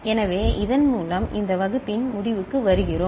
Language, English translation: Tamil, So, with this we come to the conclusion of this class